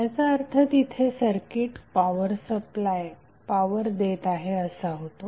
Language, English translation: Marathi, So it implies that the circuit is delivering power